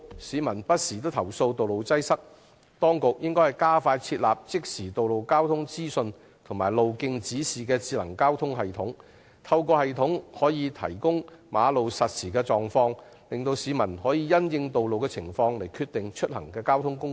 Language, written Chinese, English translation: Cantonese, 市民不時投訴道路擠塞，當局應加快設置即時道路交通資訊和路徑指示的智能交通系統，透過系統提供馬路實時狀況，讓市民能夠因應道路情況選擇出行交通工具。, Since members of the public often complain of road congestion the Administration should expeditiously put in place a smart transport system for providing real - time road and transport information directory signs and real - time road conditions information through the system to enable the public to select modes of transport having regard to road conditions